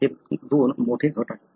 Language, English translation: Marathi, These are the two large groups